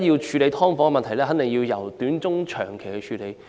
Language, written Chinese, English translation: Cantonese, 處理"劏房"的問題，必定要採取短中長期措施。, Short - medium - and long - term measures should definitely be adopted to tackle the problem of subdivided units